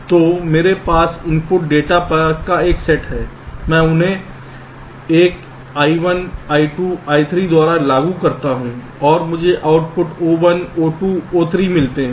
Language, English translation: Hindi, so i have a set of input data, i apply them one by one i one, i two, i three and i get the outputs: o one, o two o three